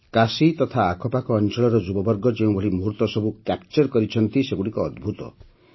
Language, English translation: Odia, The moments that the youth of Kashi and surrounding areas have captured on camera are amazing